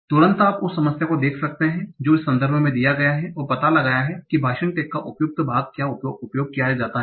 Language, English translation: Hindi, So immediately you can see the problem that given a context find out what is the appropriate part of speech tag that is being used